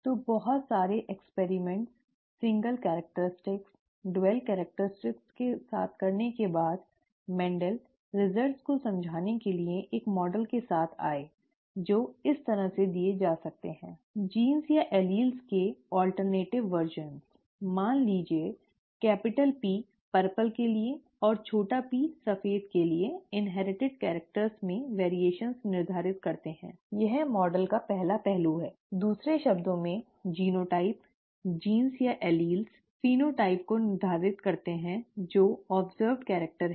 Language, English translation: Hindi, So after a lot of experiments with a lot of single characteristics, dual characteristics and so on so forth, Mendel came up with a model to explain the results which can be given as follows: alternative versions of genes or alleles, say capital P for purple and small p for white determine the variations in inherited characters, this is the first aspect of the model; in other words the genotype, genes or alleles determine the phenotype which is the observed character